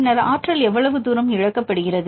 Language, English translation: Tamil, Then how far the energy is lost